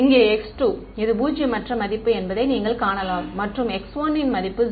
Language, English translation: Tamil, Over here, you can see that this has a non zero value of x 2 and a value of x 1 is 0 right